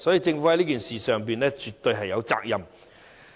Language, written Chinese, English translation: Cantonese, 政府在此事上絕對有責任。, The Government must be held accountable in this regard